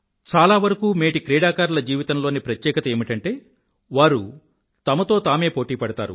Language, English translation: Telugu, It is a feature in the life of most of the successful players that they compete with themselves